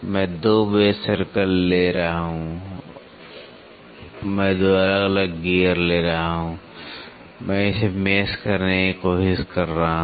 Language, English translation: Hindi, I am taking 2 base circle I am taking 2 different gears I am trying to mesh it